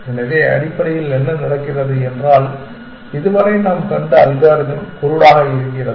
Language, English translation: Tamil, So, what is happening essentially is that the algorithm that we have seen so far is blind